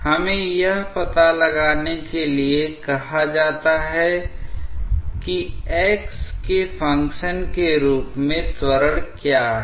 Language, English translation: Hindi, What we are asked to find out that what is the acceleration as a function of x